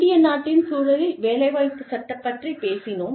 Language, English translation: Tamil, We have talked about, employment law, in the context of India